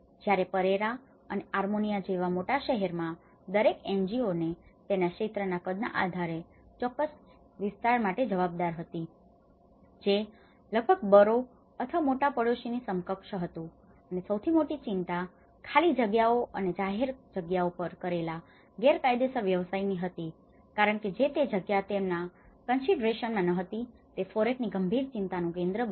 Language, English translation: Gujarati, Whereas, in the large cities like Pereira and Armenia, each NGO was responsible for a specific area due to it’s the size which is almost equivalent to a borough or a large neighbourhood and the biggest concern is illegal occupation of vacant lots and public spaces in the city of became a serious concern of FOREC because this is not coming into the considerations